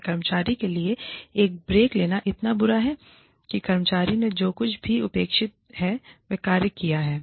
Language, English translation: Hindi, Is it, so bad for an employee, to take a break, after the employee has done, whatever is expected